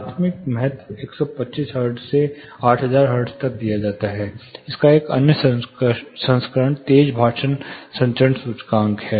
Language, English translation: Hindi, It is measured between one, you know primary importance is given to 125 hertz to 8000 hertz, another version of it a rapid speech transmission index